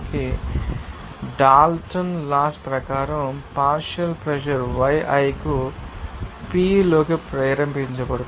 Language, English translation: Telugu, Now, as per Dalton’s Law we can have that partial pressure will be triggered to y i into p